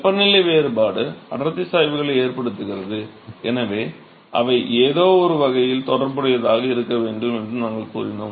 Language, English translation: Tamil, We said that the temperature difference is causing the density gradients and therefore, they have to be related in some way